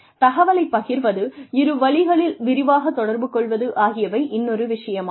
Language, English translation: Tamil, Information sharing, and extensive two way communication, is yet another one